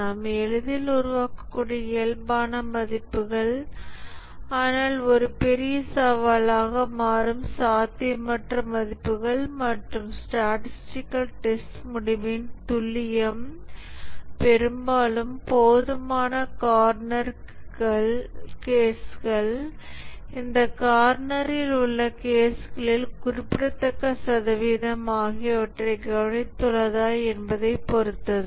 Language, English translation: Tamil, The normal values that we can easily generate, but the unlikely values that becomes a big challenge and the statistical testing, the accuracy of the result depends largely on whether we have taken care to have enough corner cases, significant percentage of these corner cases